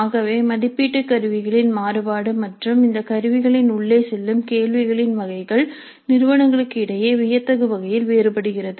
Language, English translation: Tamil, So the variation of the possible assessment instruments and the type of questions that can go into these instruments varies dramatically across the institutes